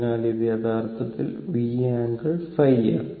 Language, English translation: Malayalam, So, this is your actually V angle phi, right